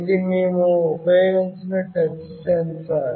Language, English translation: Telugu, This is the touch sensor that we have used